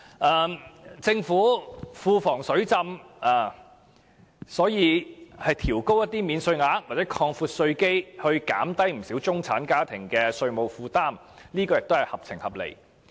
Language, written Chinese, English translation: Cantonese, 既然政府庫房"水浸"，調高免稅額或擴闊稅基以減輕中產家庭的稅務負擔，亦屬合情合理。, Given that the Treasury is flooded with cash it is reasonable to increase the tax allowances or broaden the tax base to relieve the tax burden of middle - class families